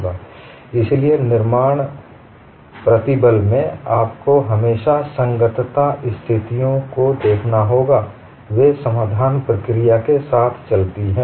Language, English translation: Hindi, So, in stress formulation, you will have to always look at compatibility conditions, they go with the solution procedure